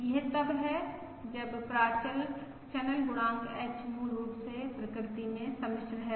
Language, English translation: Hindi, That is, when the parameter channel coefficient H is basically complex in nature